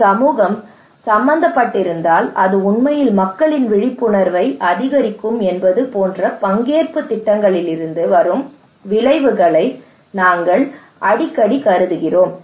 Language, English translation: Tamil, These are outcomes that we often consider that comes from participatory projects like if we involve community that will actually increase peoples awareness